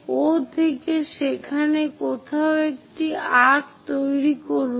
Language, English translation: Bengali, From O make an arc somewhere there